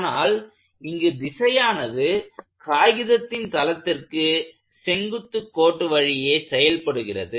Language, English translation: Tamil, Since, the direction is only along the line perpendicular to the plane of the paper